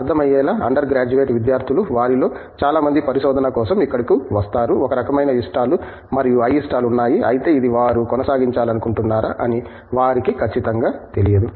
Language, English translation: Telugu, Understandably, undergraduate students who come here for research many of them, kind of have likes and dislikes but, they are not really sure whether this is something that they want to proceed